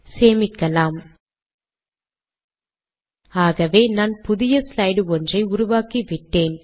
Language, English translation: Tamil, So I have created a new slide